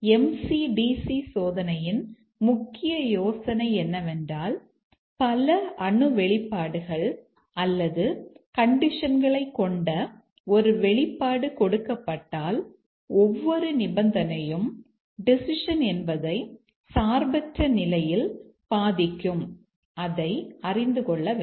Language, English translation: Tamil, The main idea in the MCDC testing is that given an expression having multiple atomic expressions or conditions, each condition must be shown to independently affect the decision